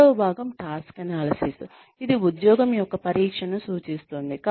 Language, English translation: Telugu, The second part is task analysis, which refers to the examination of the job, to be performed